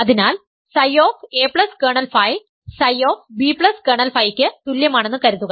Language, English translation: Malayalam, So, suppose psi of a plus kernel phi is equal to psi of b plus kernel phi ok